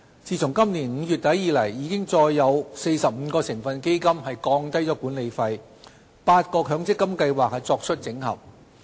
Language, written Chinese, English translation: Cantonese, 自今年5月底以來，已再有45個成分基金降低管理費和8個強積金計劃作出整合。, There has been a reduction in the management fees of another 45 constituent funds and consolidation of eight MPF schemes since the end of May this year